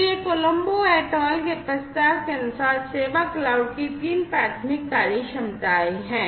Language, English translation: Hindi, So, these are the 3 primary functionalities of the service cloud as per the proposal by Colombo et al